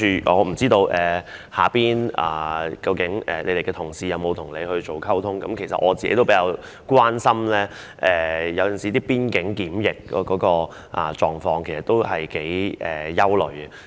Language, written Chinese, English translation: Cantonese, 我不知道她轄下的同事是否曾經與她溝通，其實我也很關心邊境檢疫的情況，對此我是有些憂慮的。, I wonder if her subordinates have communicated with her . In fact I am quite concerned about quarantine at the boundary control points . I have some worries about this